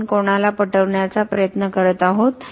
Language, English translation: Marathi, Who are we trying to convince